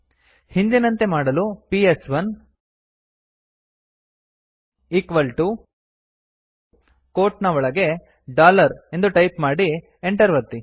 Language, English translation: Kannada, To revert back type PS1 equal to dollar within quotes and press enter